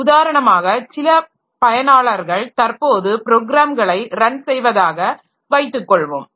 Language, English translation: Tamil, For example, the set of users who are currently running their programs, okay